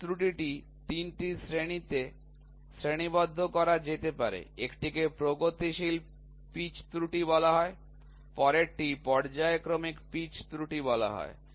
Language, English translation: Bengali, The pitch error can be classified into 3; one is called as progressive pitch error, next is called as periodic pitch error